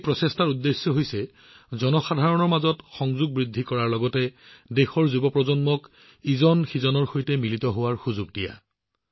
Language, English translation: Assamese, The objective of this initiative is to increase People to People Connect as well as to give an opportunity to the youth of the country to mingle with each other